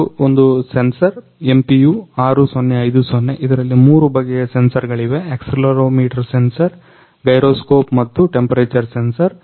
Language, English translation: Kannada, This is a one sensor MPU 6050 which contain three type of sensor; accelerometer sensor, gyroscope and temperature sensor